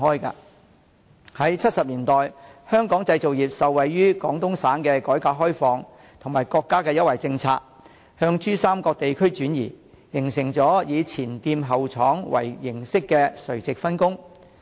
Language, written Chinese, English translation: Cantonese, 在1970年代，香港製造業受惠於廣東省的改革開放和國家的優惠政策，向珠三角地區轉移，形成了以"前店後廠"為形式的垂直分工。, In the 1970s benefited from the reform and opening - up of Guangdong Province and the preferential policy of the State our manufacturing industry relocated to the Pearl River Delta creating a vertical division of labour where the shop is at the front and the plant is at the back